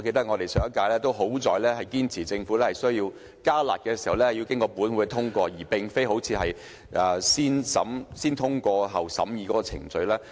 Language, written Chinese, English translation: Cantonese, 幸好上屆立法會堅持政府如要"加辣"，必須獲得本會通過，而非採用"先通過，後審議"的程序。, Fortunately in the last term of this Council Members insisted that the Government had to seek the approval of this Council should it propose any upward adjustment of the rates rather than just go through the negative vetting procedure